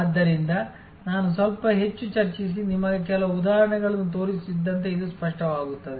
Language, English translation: Kannada, So, as I discuss a little bit more and show you some example, this will become clear